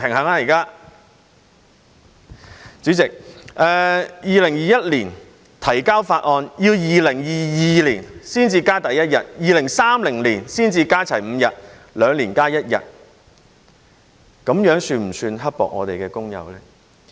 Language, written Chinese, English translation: Cantonese, 代理主席，在2021年提交法案，到2022年才增加第一日，要到2030年才可加足5日，即兩年加一日，這樣是否算刻薄工友呢？, Deputy President after the introduction of the bill in 2021 the first day of holiday will be added in 2022 and all the five days of holidays will only be added by 2030 meaning that there will one additional day every two years . Is this too mean to workers?